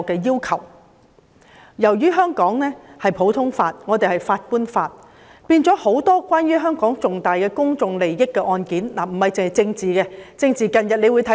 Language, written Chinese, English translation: Cantonese, 由於香港實行普通法，遵循法官法，很多關乎香港重大公眾利益的案件，不僅政治案件，也備受關注。, As the common law is implemented in Hong Kong laws enshrined in the judgments of the courts have to be complied with . Many cases not just political cases have aroused great attention as significant public interests of Hong Kong are involved